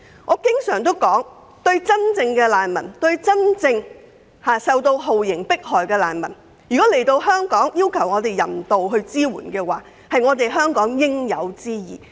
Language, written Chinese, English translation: Cantonese, 我經常指出，對於真正受到酷刑迫害的難民，當他們到達香港尋求人道支援時，給予協助是香港的應有之義。, I frequently make the point that Hong Kong does have a moral obligation to help those genuine refugees under persecution after they have arrived at Hong Kong to seek humanitarian support